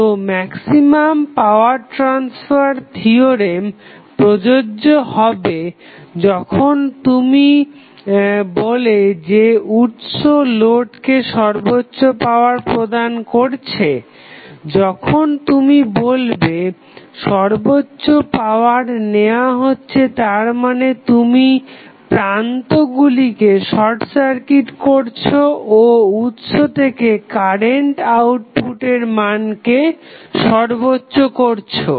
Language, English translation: Bengali, So, maximum power transfer theorem is applicable when you say that source is delivering maximum power to the load, when we say drawing maximum power it means that at that condition, you are simply sorting the source terminals and maximizing the current output from the source